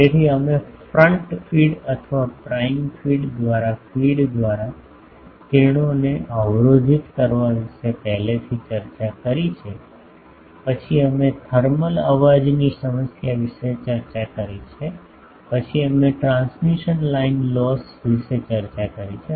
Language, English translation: Gujarati, So, we have already discussed about blocking, blocking of rays by the feed by the front fed feed or prime feed, then we have discussed the thermal noise problem, then we have discussed about the transmission line loss